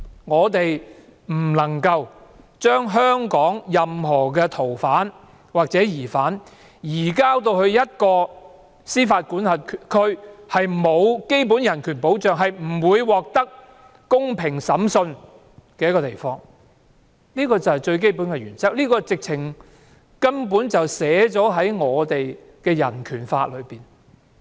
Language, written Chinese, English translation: Cantonese, 我們不能夠把香港任何逃犯或疑犯，移送到一個司法管轄區沒有基本人權保障、不會獲得公平審訊的地方，這就是最基本的原則，這根本已寫在人權法中。, We must not surrender any fugitive offender or suspect from Hong Kong to a jurisdiction where neither basic human rights nor the right to a fair trial is guaranteed . This is a fundamental principle enshrined in the Bill of Rights